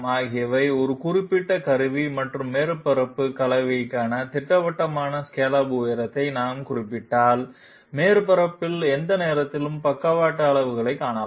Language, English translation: Tamil, So if we specify a definite scallop height for a particular tool and surface combination, we can find out the sidestep magnitude at any point on the surface